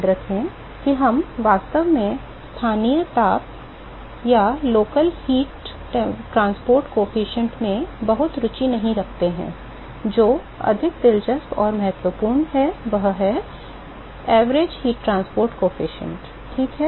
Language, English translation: Hindi, Remember that we are really not very interested in the local heat transport coefficient what is more interesting and important is the average heat transport coefficient ok